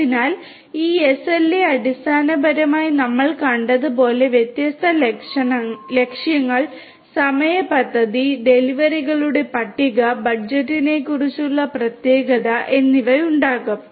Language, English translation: Malayalam, So, this SLA basically as we have seen will have different goals, time plan, list of deliverables and the specificity about the budget